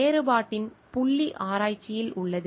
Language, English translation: Tamil, The point of differentiation lies in research